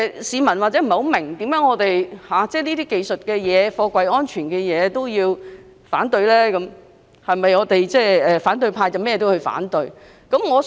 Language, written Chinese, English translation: Cantonese, 市民或許不明白我們為何要反對有關貨櫃安全的技術性修訂，甚或質疑反對派是否凡事皆要反對。, People may be unable to understand why we are against those technical amendments concerning container safety . They may even question whether the opposition camp has to oppose everything